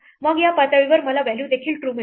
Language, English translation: Marathi, Then our level I will also get the value true